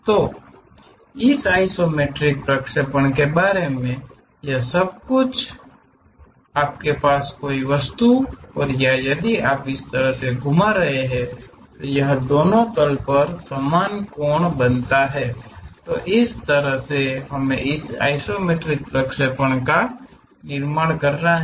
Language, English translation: Hindi, So, all about this isometric projection is if you have an object if you are rotating in such a way that it makes equal angles on both the planes that is the way we have to construct this isometric projections